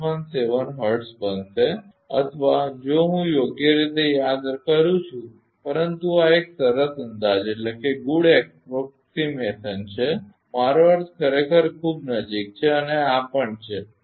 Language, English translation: Gujarati, 0117 hertz or if I recall correctly right, but this is a good approximation I mean very close actually and this is also